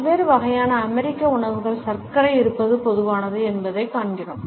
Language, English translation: Tamil, We find that it is common in different types of American foods to have sugar